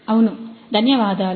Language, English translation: Telugu, Yeah, thank you